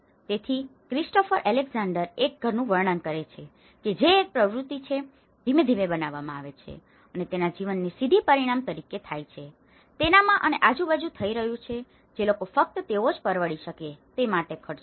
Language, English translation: Gujarati, So, as Christopher Alexander describes a house is an activity which is ëcreated gradually, as a direct result of living which is happening in it and around ití by people who spend only what they can afford